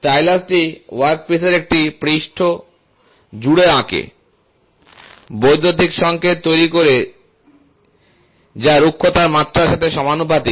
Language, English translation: Bengali, The stylus draws across a surface of the workpiece generates electrical signals that are proportional to the dimension of the asperities